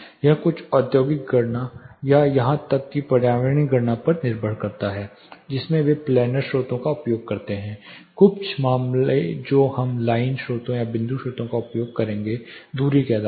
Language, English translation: Hindi, It depends on certain industrial calculation or even environmental calculation they use planar sources, some cases depending on the distance we will use line sources or point sources